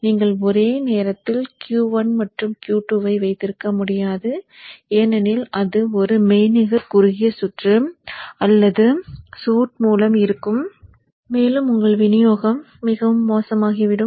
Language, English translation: Tamil, You cannot have Q1 and Q2 simultaneously on because then that would be a virtual short circuit right through and your supply will go back